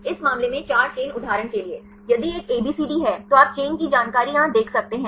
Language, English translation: Hindi, In this case 4 chains for example, if is a ABCD, then you can see the chain information here